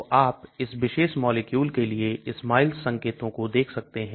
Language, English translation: Hindi, So you can see this SMILES notation for this particular molecule